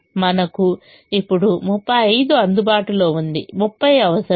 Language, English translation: Telugu, now thirty five is available